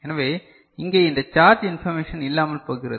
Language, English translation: Tamil, So, this charge information here it gets lost